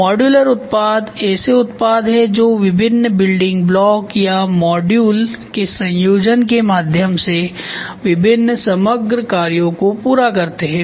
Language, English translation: Hindi, Modular products are products that fulfill various overall functions through the combination of distinct building blocks or modules